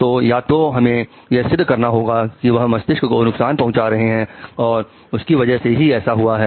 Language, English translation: Hindi, So obviously either we have to prove that they are brain damaged and that is why they have done